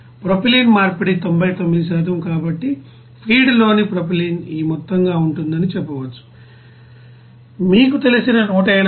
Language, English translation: Telugu, Now since the propylene conversion is 99%, we can say that the propylene in feed will be this amount, you have to divide this you know 184